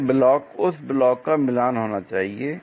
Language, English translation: Hindi, This block, that block supposed to get matched